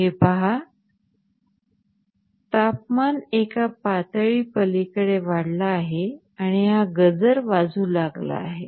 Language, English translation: Marathi, Also, whenever the temperature crosses a threshold, the alarm will sound